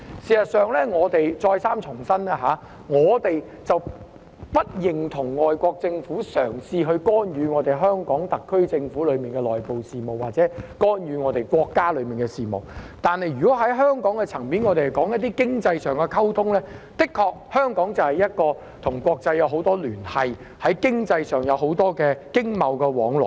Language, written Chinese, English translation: Cantonese, 事實上，我們再三重申，我們不認同外國政府嘗試干預香港特區政府的內部事務或干預國家的內部事務，但香港在經濟層面的溝通方面，的確與國際有很多聯繫，在經濟方面有很多經貿往來。, In fact we reiterate that we do not approve of any attempt by foreign governments to meddle with the internal affairs of the SAR Government or the country but on exchanges at the economic level Hong Kong has indeed many ties with the international community and there are a lot of economic and business exchanges in the economic realm